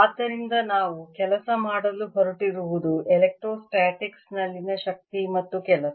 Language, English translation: Kannada, so what we are going to work on is the energy and work in electrostatics